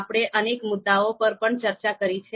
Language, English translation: Gujarati, And we also discussed a number of issues